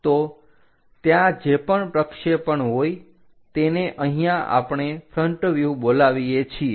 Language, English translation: Gujarati, So, this one whatever the projection one we call as front view here